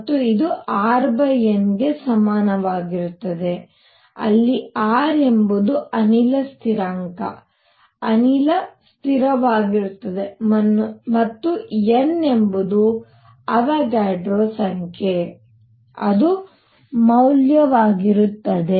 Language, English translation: Kannada, And this is equal to R over N where R is the gas constants gas constant and N is the Avogadro number that is the value